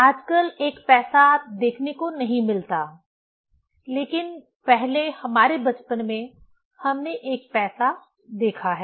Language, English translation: Hindi, Now a days I cannot see one paisa, but earlier in our childhood we have seen the 1 paisa